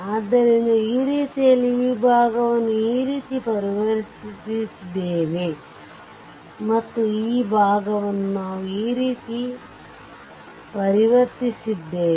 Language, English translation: Kannada, So, this way this side portion we have converted like this and this side portion we have converted like this right